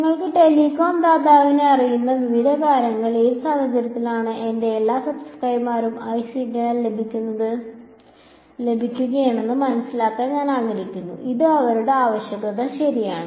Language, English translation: Malayalam, Various things maybe you know telecom provider and I want to understand under what conditions will all my subscribers get good signal strength that can be our requirement right